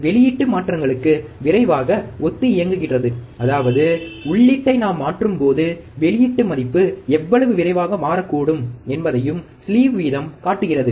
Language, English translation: Tamil, And output responds faster to the changes, that means, slew rate also shows that how fast the output can change ,when we change the input